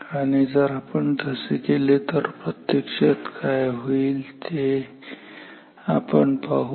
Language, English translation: Marathi, Now if we do so let us see what will actually happen